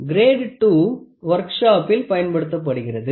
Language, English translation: Tamil, Grade 2 is generally used in the workshop